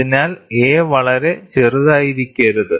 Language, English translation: Malayalam, So a, cannot be cannot be very small